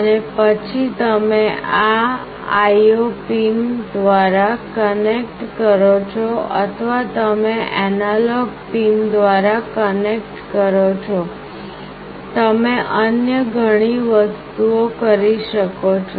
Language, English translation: Gujarati, And then you connect through these IO pins or you connect through the analog pins, you can do various other things